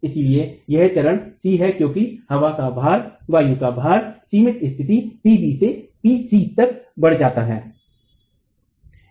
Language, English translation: Hindi, So, this is our stage C as the wind load increases from the limiting condition, PB, to the situation PC